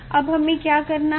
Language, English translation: Hindi, So now, what I will do